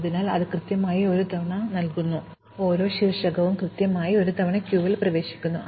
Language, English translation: Malayalam, So, each vertex enters the queue exactly once